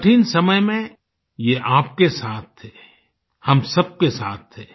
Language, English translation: Hindi, During the moment of crisis, they were with you; they stood by all of us